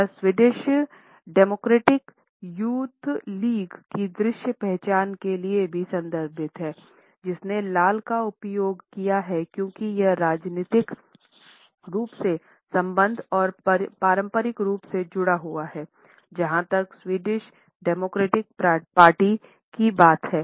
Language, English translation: Hindi, She is also referred to the visual identity of the Swedish Democratic Youth League which has used red as it is a strongly tied to the political affiliations and the traditional symbol of the red rolls as far as the Swedish Democratic Party is concerned